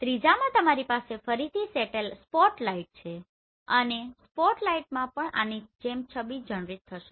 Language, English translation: Gujarati, In the third one you have spotlight and spotlight again this will be generated like this